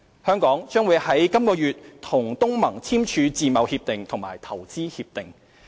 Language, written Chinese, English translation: Cantonese, 香港將於本月與東盟簽署自貿協定及投資協定。, Hong Kong will sign an FTA and a related Investment Agreement with ASEAN this month